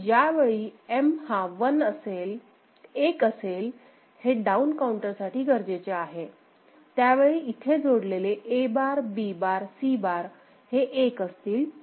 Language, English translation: Marathi, And for M is equal to 1, we know that the down counter, A bar B bar C bar, these are the ones that will be fed here